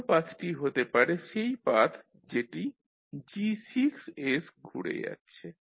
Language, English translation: Bengali, Other path can be the path which is going via G6s